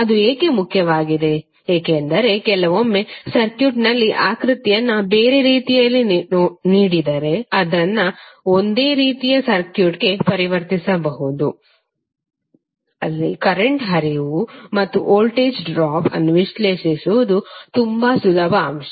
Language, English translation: Kannada, Why it is important because sometimes in the circuit if it is given a the figure is given in a different way you can better convert it into a similar type of a circuit where it is very easy to analysis the current flow and the voltage drop across the element